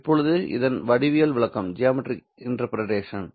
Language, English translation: Tamil, Now, what is the geometric interpretation of this